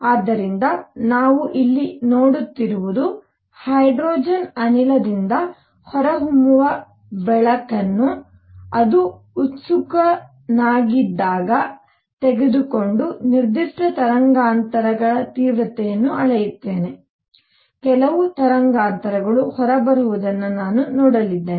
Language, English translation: Kannada, So, what we are seeing here is that suppose, I take the light coming out of hydrogen gas when it is excited and measure the intensity of particular wavelengths, I am going to see certain wavelengths coming out